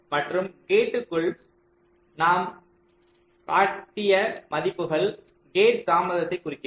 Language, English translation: Tamil, and the values which i shown inside the gates, they indicate the gate delays